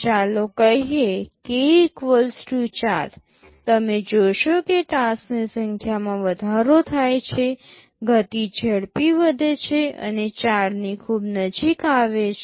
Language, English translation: Gujarati, Let us say k = 4; you see as the number of tasks increases, the speedup increases increase and levels to very close to 4